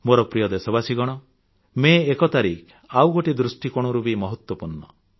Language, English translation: Odia, My dear countrymen, tomorrow, that is the 1st of May, carries one more significance